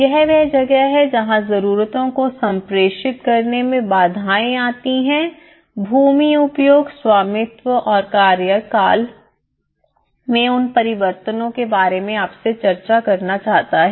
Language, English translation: Hindi, Barriers, this is where causes the barriers in communicating the needs and wants either discussed with you those changes in the land use and the ownership and the tenure